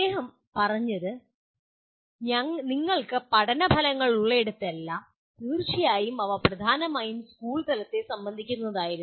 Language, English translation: Malayalam, He said wherever you have learning outcomes, of course their main concern was at the school level